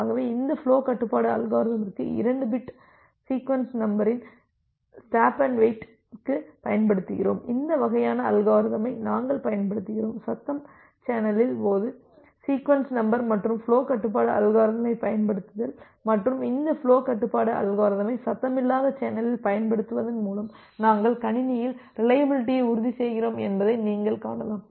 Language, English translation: Tamil, So, that is the reason that we use 2 bit sequence number for a this flow control algorithm using stop and wait and this kind of algorithm where we are utilizing the concept of sequence number and applying flow control algorithm in case of a noisy channel, and you can see that by applying this flow control algorithm in a noisy channel, we are also ensuring reliability in the system